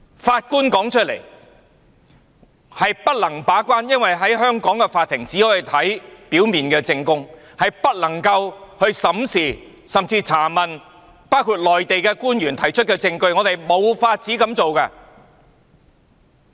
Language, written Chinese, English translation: Cantonese, 法官說他們不能把關，因為在香港，法庭只可以看表面證供，但不能審視甚至查問包括內地官員提出的證據，他們是無法這樣做的。, The Judges said that they are unable to keep the gate because in Hong Kong the Court can only consider prima facie evidence and cannot examine or even question the evidence produced by Mainland officials . They just cannot do it